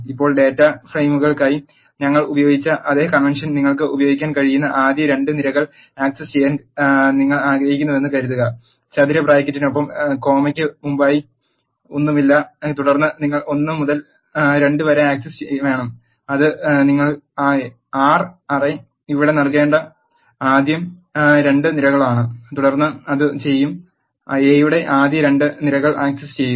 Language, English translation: Malayalam, Now, let us suppose you want to access the first two columns you can use the same convention as what we have used for data frames, A with the square bracket nothing before the comma and then you want access 1 to 2 that is first two columns of a you have to give that array here and then it will access the first two columns of A